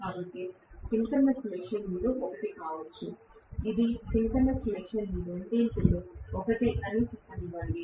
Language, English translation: Telugu, So, this can be I of synchronous machine, one let me say this is I of synchronous machine two